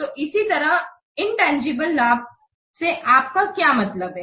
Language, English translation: Hindi, So similarly, what do you mean by intangible benefit